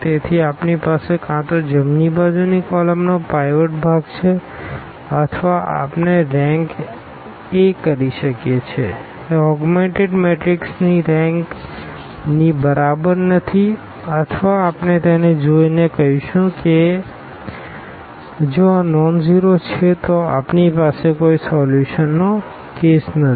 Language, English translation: Gujarati, So, we have either the rightmost pivot has rightmost column has a pivot or we call rank a is not equal to the rank of the augmented matrix or we call simply by looking at this that if this is nonzero then we have a case of no solution, clear